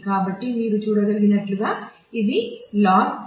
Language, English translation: Telugu, So, as you can see this is log to the base n /2